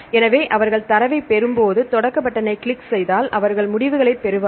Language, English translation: Tamil, So, when they get the data, they click the start button and they will get the results